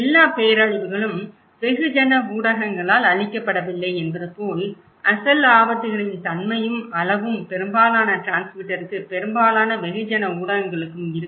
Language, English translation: Tamil, Like, all disasters are not reported by the mass media, the nature and magnitude of the original hazards are only minor interest for most of the transmitter, most of the mass media